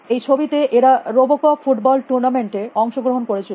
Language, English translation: Bengali, In this picture they are participating the Robocop football tournament